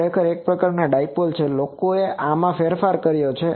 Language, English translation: Gujarati, Actually this type of this is a dipole from that actually people have modified this